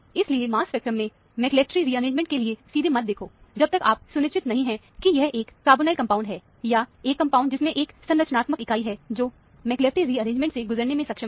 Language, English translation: Hindi, So, do not straightaway look for McLafferty rearrangement in the mass spectrum, unless you are sure that, it is a carbonyl compound, or a compound which has a structural unit, which is capable of undergoing McLafferty rearrangement and so on